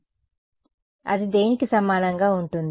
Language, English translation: Telugu, So, what is that going to be equal to